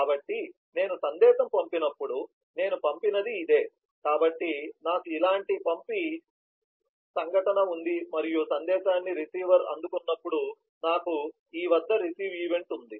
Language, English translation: Telugu, so when i send a message, this is the point where i am doing the send, so i have a send event like this and when the message is received by the receiver, i have a receive event at this